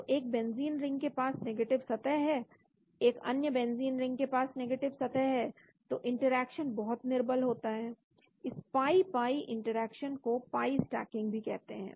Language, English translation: Hindi, So one benzene ring has a negative surface, another benzene ring has negative surface, so the interaction is very poor, this pi pi interaction is also called pi stacking